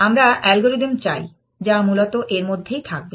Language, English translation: Bengali, We want algorithms, which will be somewhere in between essentially